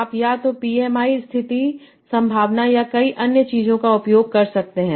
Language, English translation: Hindi, You can use either PMI, condition probability, or many other things